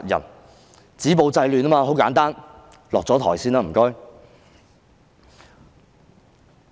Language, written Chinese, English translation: Cantonese, 要止暴制亂，很簡單，請她先下台。, Stopping the violence and curbing the disorder is very simple . Will she please step down first